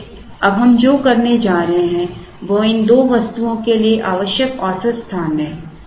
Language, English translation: Hindi, So, what we are going to do now is the average space required for these two items